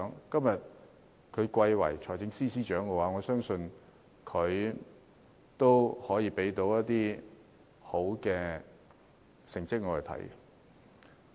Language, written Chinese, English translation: Cantonese, 今天他貴為財政司司長，我相信他可以向我們交出好成績。, In his capacity as the Financial Secretary today he will I believe give us a good performance